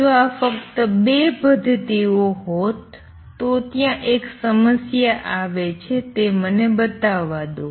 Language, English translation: Gujarati, If these were the only 2 mechanisms, there comes a problem let me show that